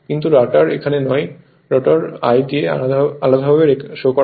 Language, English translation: Bengali, But rotor not here, rotor will I will show you separately right